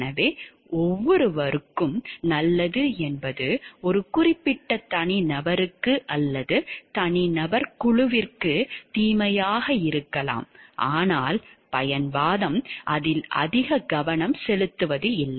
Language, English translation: Tamil, So, what may be good for everyone may be bad for a particular individual or a group of individual and but utilitarianism does not like gave much focus on it